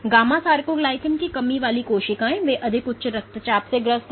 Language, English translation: Hindi, Gamma sarcoglycan deficient cells, they are way more hypertensive